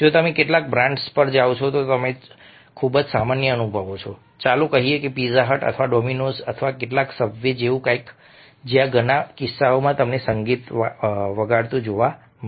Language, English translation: Gujarati, now, it's a very common experience if you go to some of the brands like, let say, pizza hut or dominos or somebody, some, some, something like sub ways, where in many cases you will find music playing